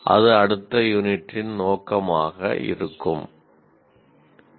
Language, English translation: Tamil, That will be the aim of the next unit